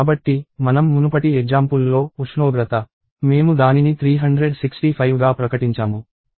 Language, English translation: Telugu, So, let us say in the previous example, temperature, I declared it to be 365